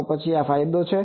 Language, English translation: Gujarati, Then this is the gain